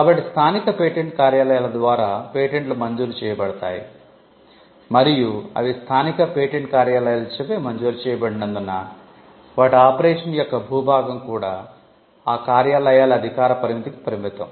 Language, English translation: Telugu, So, patents are granted by the local patent offices and because they are granted by the local patent offices, the territory of it their operation are also limited to the jurisdiction of those offices